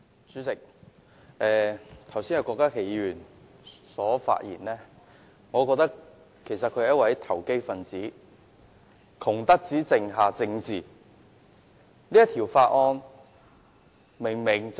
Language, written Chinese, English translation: Cantonese, 主席，郭家麒議員剛才的發言令我覺得他是"窮得只剩下政治"的投機分子。, Chairman the earlier speech of Dr KWOK Ka - ki has given me the feeling that he is such a poor political speculator that politics is all which is left of him